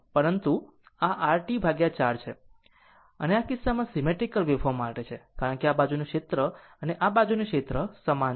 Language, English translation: Gujarati, But, this is your T by 4 and in that case for symmetrical waveform because this side area and this side area is same